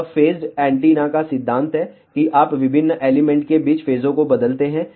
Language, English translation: Hindi, This is the principle of phased array antenna, that you change the phases between the different elements